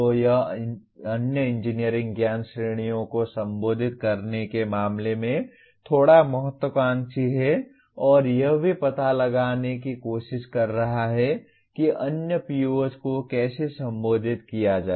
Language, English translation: Hindi, So this is slightly ambitious in terms of addressing other engineering knowledge categories and also trying to explore how to address the other POs